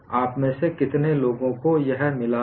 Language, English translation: Hindi, How many of you have got it